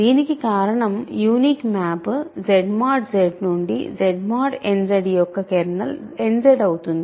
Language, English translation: Telugu, So, this is because the reason is the unique map from Z mod Z to Z mod n Z has kernel n Z right